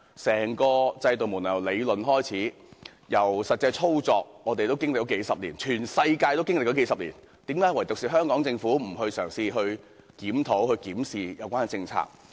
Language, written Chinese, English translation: Cantonese, 整個制度由理論到實際操作，我們已經歷數十年，全世界也經歷了數十年，為何唯獨香港政府不嘗試檢討及檢視有關政策？, We have been through a few decades seeing the transition of the whole system from the theoretical stage to actual implementation so have people in the whole world . Why does the Hong Kong Government alone not try to review and examine such a policy?